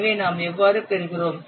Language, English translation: Tamil, So I will get how much